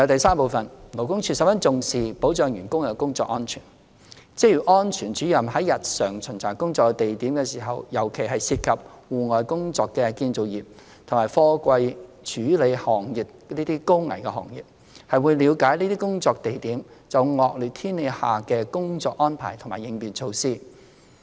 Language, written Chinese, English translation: Cantonese, 三勞工處十分重視保障僱員的工作安全，職業安全主任在日常巡查工作地點時，尤其是涉及戶外工作的建造業及貨櫃處理行業等高危行業，會了解這些工作地點就惡劣天氣下的工作安排及應變措施。, 3 LD attaches great importance to ensuring the work safety of employees . During regular inspections at workplaces in particular those of high - risk industries such as the construction industry and the container handling industry which involve outdoor work activities Occupational Safety Officers pay attention to the work arrangements and contingency measures in relation to working under inclement weather conditions